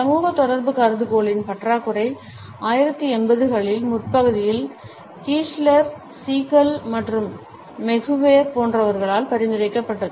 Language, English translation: Tamil, The lack of social contact hypothesis was suggested in early 1980s by Kiesler, Siegel and McGuire etcetera